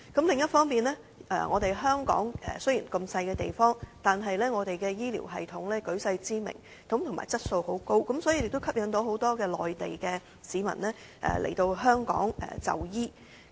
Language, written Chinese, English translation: Cantonese, 另一方面，香港雖然地方小，但是我們的醫療系統舉世知名，質素也相當高，所以吸引了很多內地市民來香港就醫。, On the other hand despite being a small place Hong Kongs health care system is world renowned and its quality is also rather high